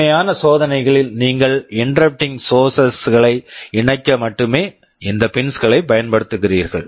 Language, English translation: Tamil, In the actual experiments you shall be using these pins only to connect interrupting sources